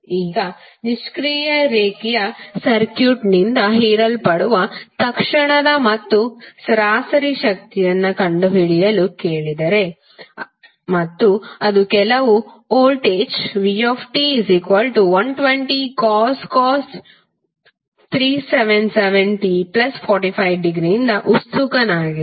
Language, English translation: Kannada, Now, if you are asked to find the instantaneous and average power absorbed by a passive linear circuit and if it is excited by some voltage V that is given as 120 cos 377t plus 45 degree